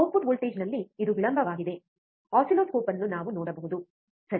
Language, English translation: Kannada, This lag in the output voltage, we can see using the oscilloscope, alright